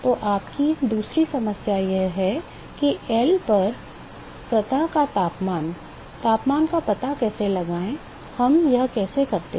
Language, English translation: Hindi, So, your second problem is how to find the temperature of the, temperature of the surface at L, how do we do this